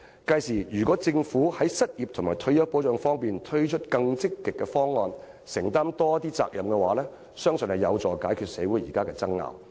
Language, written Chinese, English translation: Cantonese, 屆時，如果政府在失業和退休保障方面推出更積極的方案，承擔更多責任，相信可有助解決社會現時的爭拗。, By that time if the Government puts forward more ambitious proposals regarding unemployment and retirement protection and undertakes more responsibilities I believe that will help resolve the present disputes in society